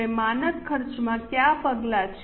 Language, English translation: Gujarati, Now, what are the steps in standard costing